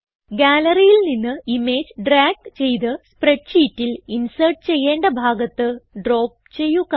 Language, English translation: Malayalam, Drag the image from the Gallery and drop it into the spreadsheet where you want to insert it